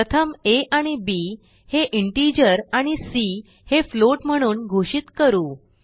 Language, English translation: Marathi, We first declare variables a and b as integer and c as float